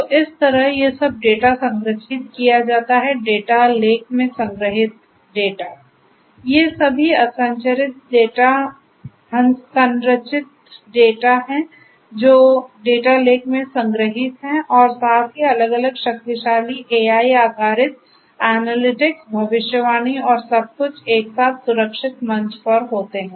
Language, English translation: Hindi, So, this is how this all this data are stored, so the data stored in the data lake all these are unstructured data these are stored in the data lake plus there are different powerful AI based analytics prediction and so on and everything together is a secured platform